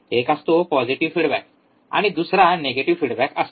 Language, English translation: Marathi, One is your negative feedback, another one is your positive feedback